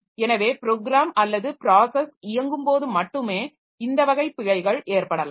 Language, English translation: Tamil, So all the logical errors that a program or process can develop